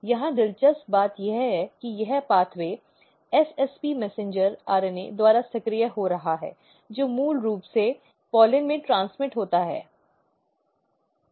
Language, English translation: Hindi, Interesting thing here is that this pathway is getting activated by SSP messenger RNA which is basically transmitted from the pollens